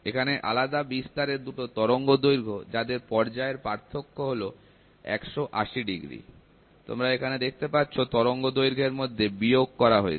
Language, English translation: Bengali, So, here 2 wavelengths of different amplitudes with phase difference of 180 degrees, you can see there is a subtraction happening between the wavelength